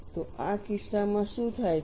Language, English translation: Gujarati, So, in this case what happens